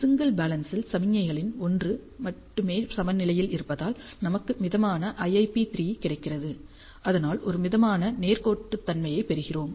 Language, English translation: Tamil, For single balance mix[er] since it is only balanced in one for one of the signals, we get a moderate IIP3, hence we get a moderate linearity